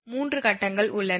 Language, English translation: Tamil, There are 3 phases